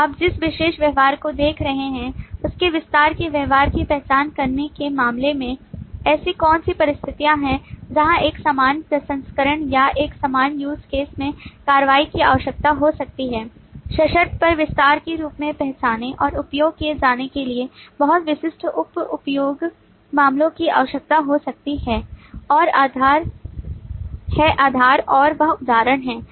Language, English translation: Hindi, So, in terms of identifying the extend behavior, you are specifically looking at what are the situations where a general processing or a general use case action may require very specific sub use cases to be identified and used as extension on a conditional basis